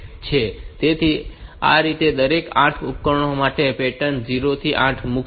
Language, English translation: Gujarati, So, this way for each of these 8 devices it should put the pattern 0 to 8